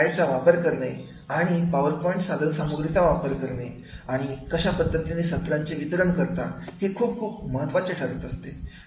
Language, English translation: Marathi, How strong you are making slides, using the slide and making the PowerPoints contents for the delivering your lecture that becomes very, very important